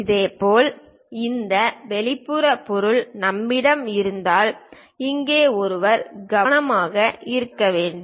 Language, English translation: Tamil, Similarly, one has to be careful here because we have this exterior object